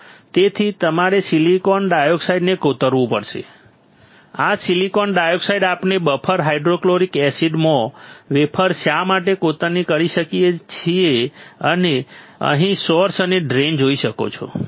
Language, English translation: Gujarati, So, you have to etch the silicon dioxide, this silicon dioxide we can etch why lasing the wafer in buffer hydrofluoric acid and you can see source and drain you can see source and drain right over here